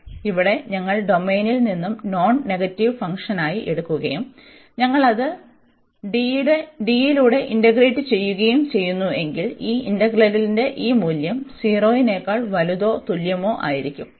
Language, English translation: Malayalam, So, here if we take the function as a non negative on the domain D, and we are integrating here this over D, then this value of this integral will be also greater than or equal to 0